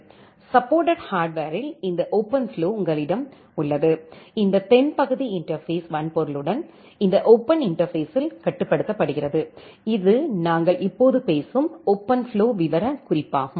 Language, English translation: Tamil, You have this OpenFlow in supported hardware and this southbound interface is controlled by this open interfacing with the hardware that is the OpenFlow specification that we are talking right now